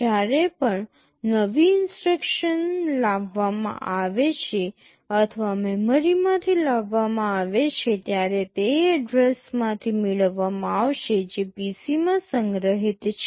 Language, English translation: Gujarati, Whenever a new instruction is brought or fetched from memory it will be fetched from the address which is stored in the PC